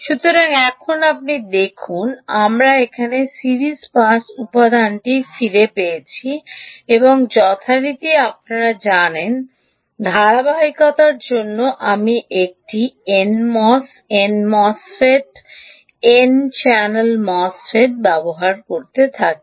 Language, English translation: Bengali, ok, so now you see, we got back the, the ah series pass element here and for, as usual, for you know, for continuity, i continue to use an n mass n mosfet, n channel mosfet, ok, and so we will keep at the same thing here